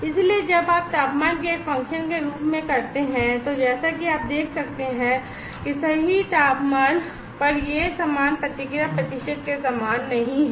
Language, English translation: Hindi, So, when you do as a function of temperature, then as you can see that not at all temperature it as similar kind of response percent